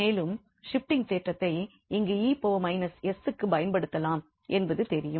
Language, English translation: Tamil, And then, we know this shifting theorem which can be applies here for e power minus s